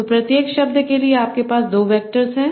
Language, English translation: Hindi, So, for each word you have two vectors